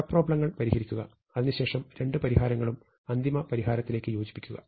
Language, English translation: Malayalam, Solve the sub problems, and there merge the two solution into a final solution